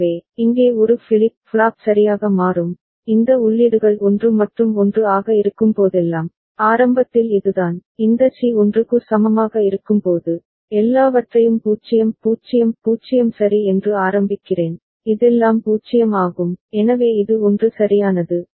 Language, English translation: Tamil, So, here the A flip flop will toggle ok, whenever these the inputs are 1 and 1, so that is the case in the beginning, when this C is equal to 1, I mean initialized with all 0 0 0 ok, this all are 0, so this is 1 right